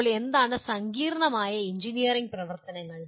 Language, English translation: Malayalam, Now what are complex engineering activities